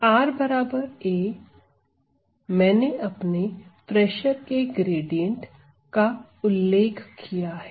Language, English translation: Hindi, So, r at r equal to a I can, I have specified my gradient of pressure